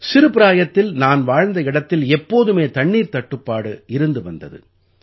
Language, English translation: Tamil, The place where I spent my childhood, there was always shortage of water